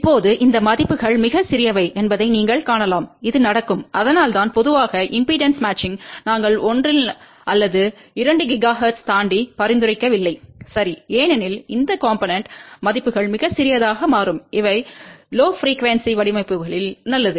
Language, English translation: Tamil, Now, you can see that these values are very small ok and which does happen, that is why we do not generally recommend lumped impedance matching beyond 1 or 2 gigahertz ok because these component values become very small these are good designs at lower frequency